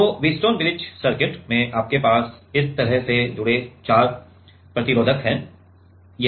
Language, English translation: Hindi, So, in the Wheatstone bridge circuit you have four resistors connected like this